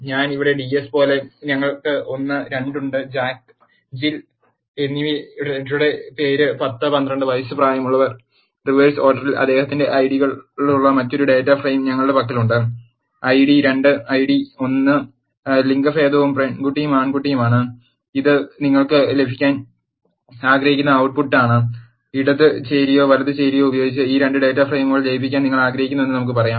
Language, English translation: Malayalam, We have one and 2 as I ds here, name as Jack and Jill whose ages are 10 and 12 at a suppose, we have another data frame which has his Ids in the reverse order, Id2 Id1 and gender is girl and boy and this is output you want to get, let us say you want to merge these 2 data frames using some function either left join or right join are something